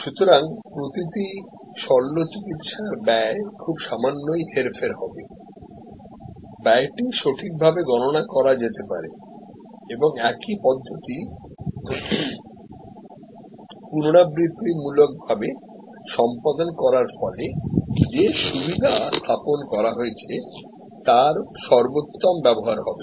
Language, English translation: Bengali, So, the per unit surgery cost will be varying very little, cost could be accurately calculated and same procedure repetitively performed could ensure optimize set up for the facility